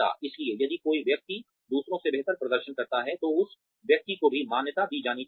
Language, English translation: Hindi, So, if somebody outperforms others, then that person should be recognized also